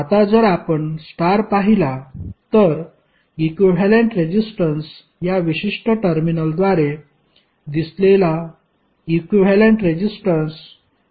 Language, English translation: Marathi, Now if you see the star, the equivalent resistance, the equivalent resistance seen through this particular terminal would R1 plus R3